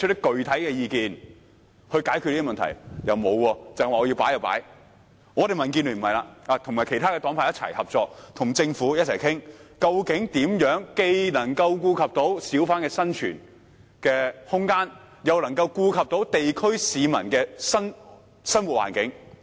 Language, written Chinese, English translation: Cantonese, 民主建港協進聯盟卻不會這樣行事，我們和其他黨派合作，並與政府共同商討，究竟如何既能顧及小販的生存空間，又能顧及地區市民的生活環境。, But the Democratic Alliance for the Betterment and Progress of Hong Kong DAB will not act in that way . We join hands with other political parties and groupings and hold joint discussions with the Government about how to make allowances for room for survival of hawkers while taking into account the living environment of people in the districts